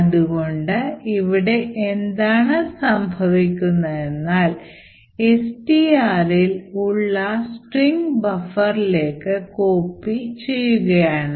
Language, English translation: Malayalam, So, what is happening here is that is which is present in STR is copied into buffer